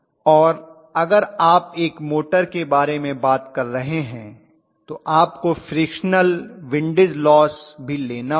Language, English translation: Hindi, And if you are talking about a motor you will have to take the frictional windage losses and something like that